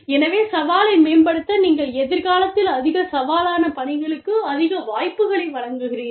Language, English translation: Tamil, So, to enhance the challenge, you give them more opportunities, for more challenging work, in the future